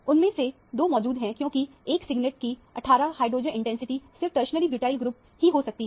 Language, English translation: Hindi, Two of them are present because the 18 hydrogen intensity of a singlet can only be a tertiary butyl group in this case